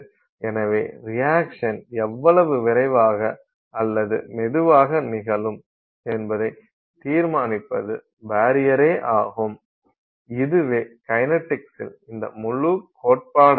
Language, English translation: Tamil, So, that is the barrier that decides how fast or slow the reaction will occur and that is being captured by this whole idea of kinetics